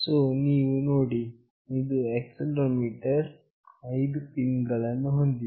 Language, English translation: Kannada, So, you see this is the accelerometer, it has got 5 pins